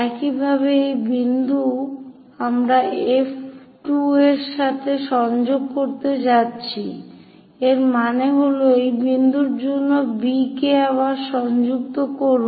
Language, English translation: Bengali, Similarly, these point we are going to connect with F 2; that means, for this point B again connect that